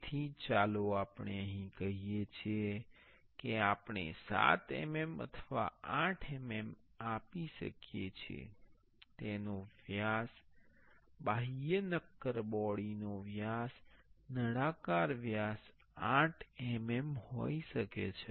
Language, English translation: Gujarati, So, let say here we can give 7 mm or 8 mm we can give, its diameter the outer solid body diameter cylindrical diameter can be 8 mm